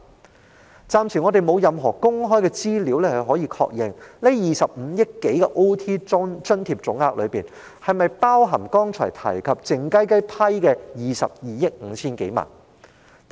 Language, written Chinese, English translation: Cantonese, 我們暫時沒有任何公開資料可確認在該25多億元加班津貼總額中，是否包含剛才提及，獲當局靜悄悄批出的22億 5,000 多萬元。, There is so far no public information available to confirm whether this total sum of over 2.5 billion of overtime allowance included the funding of over 2.25 billion mentioned just now when I was talking about the public money allocated secretly by the Government